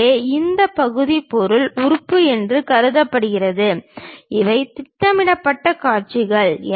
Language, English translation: Tamil, So, this part supposed to be material element and these are projected views